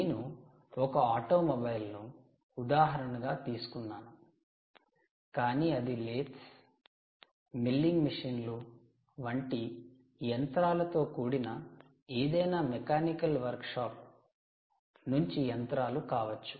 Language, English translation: Telugu, i just take a automobile as an example, but it could also be any ah workshop, ah mechanical workshop machine like laths, milling machines and so on